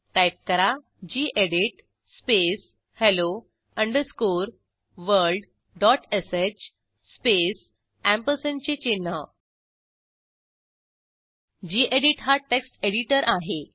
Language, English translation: Marathi, Now type gedit space hello underscore world dot sh space Gedit is the text editor